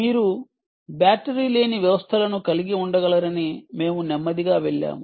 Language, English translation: Telugu, then we went slowly into the fact that you can have batteryless systems